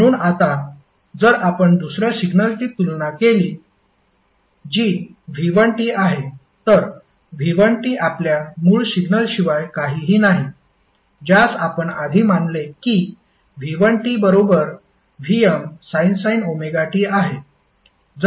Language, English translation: Marathi, So, now if you compare with another signal which is V1T and V1T is nothing but our original signal which we considered previously, that is V1 t is equal to vm sine omega t